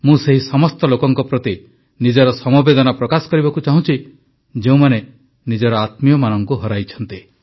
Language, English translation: Odia, My heart goes out to all the people who've lost their near and dear ones